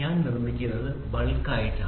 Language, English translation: Malayalam, So, all I do is I produce it in bulk